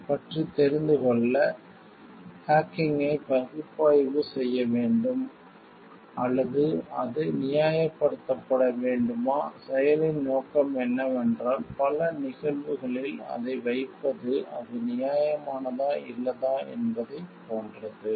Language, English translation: Tamil, So, then should we take hacking to be unethical, or should it be justified so, the purpose of the action what it is putting what it is put into many cases tells like whether it is justified or not